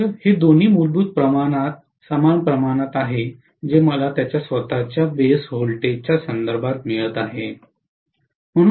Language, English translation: Marathi, So both of them are essentially the same amount of percentage that I am getting with reference to its own base voltage